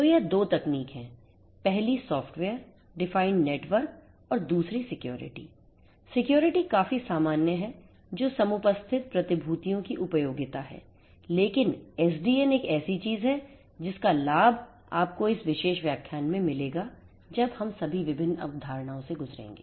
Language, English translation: Hindi, So, these 2 technologies are number 1 the software defined networks and number 2 the security; security is more common which is more applicable usefulness of securities quite imminent, but SDN is something whose benefits will be clearer to you in this particular lecture once we go through all the different concepts that we are going to